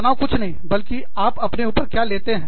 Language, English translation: Hindi, Stress is nothing but, what you take on yourself